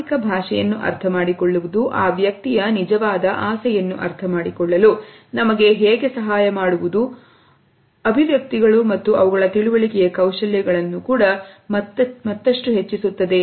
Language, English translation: Kannada, If understanding body language helps us to understand the true intent of the other person; micro expressions and their understanding further hones these skills